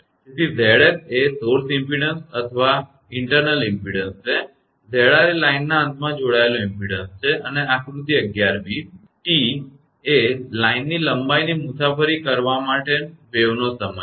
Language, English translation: Gujarati, So, Z s is the source impedance or internal impedance and Z r is the or impedance connected at the end of the line and figure 11 b, T is the time for a wave to travel the line length